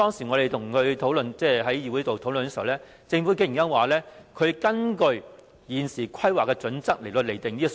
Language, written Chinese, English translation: Cantonese, 我們在議會討論時，政府竟然說它是根據現時的規劃準則來釐定這個數目。, During our discussion in the Legislative Council the Government said to our surprise that it had determined this number based on the existing planning standards